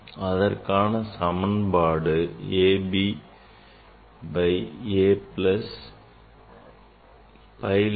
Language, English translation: Tamil, that is a b by a plus b pi lambda